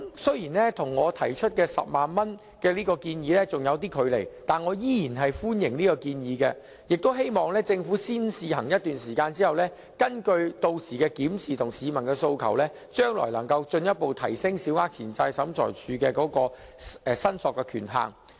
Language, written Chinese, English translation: Cantonese, 雖然這金額與我提出的10萬元建議仍有距離，但我依然歡迎這建議，希望政府在先試行一段時間後，根據屆時的檢視，以及市民的訴求，將來能夠進一步提升向審裁處申索的權限。, While this amount still falls short of the 100,000 as we have proposed I welcome the proposal all the same and hope that the Government can further raise SCTs claim limit based on its review after a period of implementing the proposal on a trial basis and peoples demand